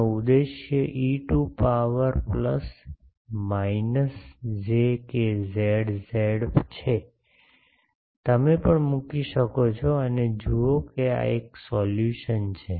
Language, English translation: Gujarati, The solution of this is E to the power plus minus j k z z, you can put also and see that this is a solution